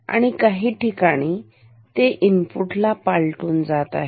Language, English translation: Marathi, And at some point it crosses the input